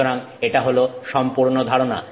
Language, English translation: Bengali, So, that's the whole idea